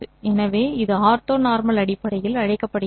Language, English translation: Tamil, So this forms the so called ortho normal basis